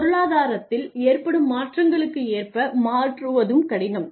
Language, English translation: Tamil, And it also becomes difficult to adapt to the changes in the economy